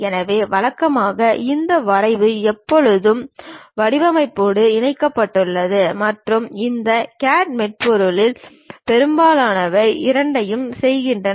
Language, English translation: Tamil, So, usually this drafting always be club with designing and most of these CAD softwares does both the thing